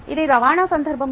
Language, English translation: Telugu, this in the context of transport